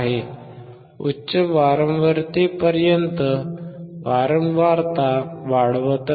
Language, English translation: Marathi, We still keep on decreasing the frequency